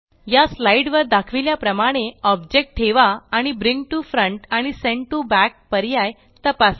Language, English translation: Marathi, Now place the object as shown on this slides and check bring to front and sent to back option